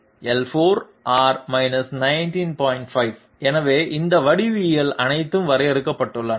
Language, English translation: Tamil, 5, so this way all these geometries have been defined